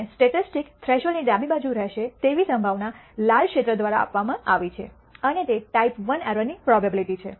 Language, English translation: Gujarati, And the probability that the statistic will be left of the threshold is given by the red area and that is going to be of type II error prob ability